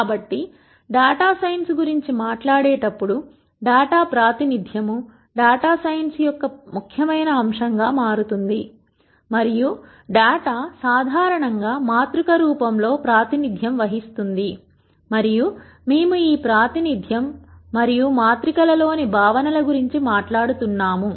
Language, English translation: Telugu, So, when one talks about data science, Data Representation becomes an im portant aspect of data science and data is represented usually in a matrix form and we are going to talk about this representation and concepts in matrices